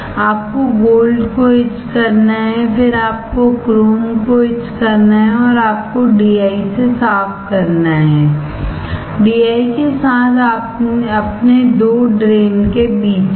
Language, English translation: Hindi, You have to etch the gold, then you have to etch the chrome and you rinse the DI; in between your two drains with DI